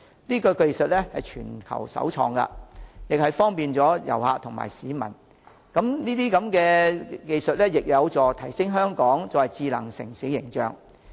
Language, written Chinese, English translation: Cantonese, 此技術為全球首創，方便旅客和市民之餘，亦有助提升香港智能城市的形象。, This technology is the first of its kind in the world which apart from offering convenience to visitors and members of the public is conducive to improving the image of Hong Kong as a smart city